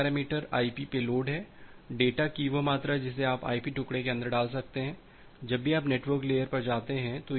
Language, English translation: Hindi, The first parameter is the IP payload; the amount of data that you can put inside the IP fragment, whenever it is going to the network layer